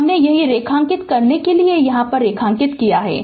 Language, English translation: Hindi, I have underlined here for you underlined here right